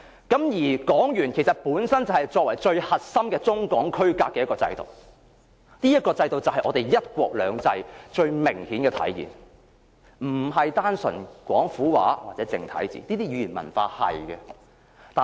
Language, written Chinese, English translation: Cantonese, 港元是區隔中港最核心的制度。這個制度是"一國兩制"最明顯的體現，不是廣府話或繁體字這些語言文化的體現。, The Hong Kong dollar is the core system separating Hong Kong and Mainland China and this system is the most obvious embodiment of one country two systems unlike Cantonese or traditional Chinese characters which are the linguistic and cultural embodiments